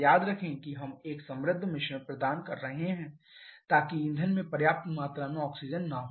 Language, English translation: Hindi, Remember we are providing a rich mixture so the fuel does not have sufficient amount of oxygen